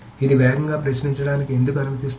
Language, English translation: Telugu, Why will it allow faster querying